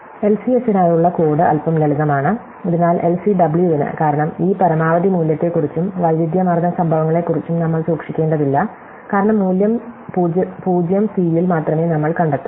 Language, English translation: Malayalam, So, the code for the LCS is little bit simpler then for LCW, because we do not have to keep track of these maximum value and where it occurs, because we only need to find the value at 0 c